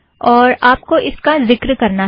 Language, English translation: Hindi, And you have to refer to this